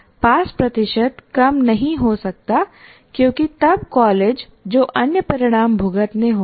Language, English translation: Hindi, Past percentages cannot come down because then the college will have to face some other consequences